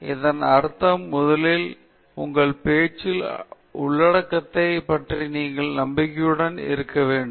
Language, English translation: Tamil, So, this means, first of all, you have to be confident about the content of your talk